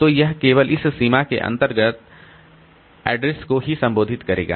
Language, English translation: Hindi, So it will be consulting addresses in this range only